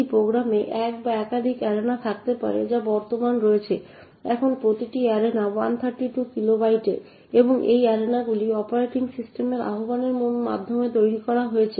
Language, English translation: Bengali, One program could have one or more arenas which are present, now each arena is of 132 kilobytes and these arenas are created by invocations to the operating system